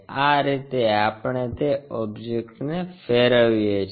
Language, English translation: Gujarati, This is the way we re rotate that object